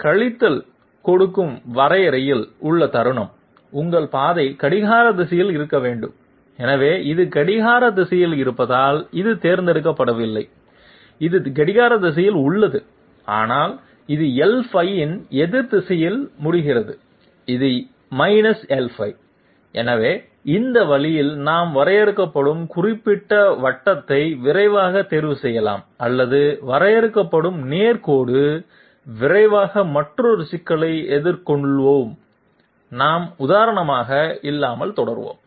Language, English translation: Tamil, The moment in the definition you are giving minus, your path has to be negative I mean your path has to be clockwise, so this is not chosen because this is, wait a minute this is clockwise, this one is clockwise but it ends up in the opposite direction of L5, it is L5, so this way we can quickly choose the particular circle which is being defined or the straight line which is being defined, let s quickly take just another problem and we will be proceeding without example